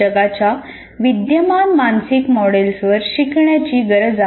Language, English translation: Marathi, Learning needs to build on existing mental models of the world